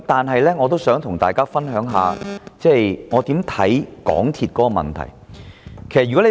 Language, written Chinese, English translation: Cantonese, 可是，我仍想與大家分享一下我對港鐵公司問題的看法。, However I still want to share with you my views on MTRCLs problems